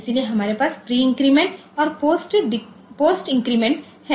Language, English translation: Hindi, So, we have pre decrement and post increment